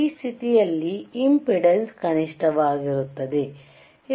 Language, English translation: Kannada, iImpedance in this condition is minimum, which is resistance R